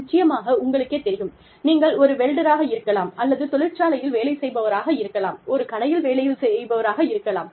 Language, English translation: Tamil, Of course, you know, if you are a welder, or, you are working in a factory, in the shop floor